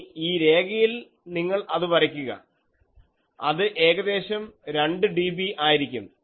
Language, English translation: Malayalam, Now, in this line you plot that maybe it is let us say 2 dB, so it will come here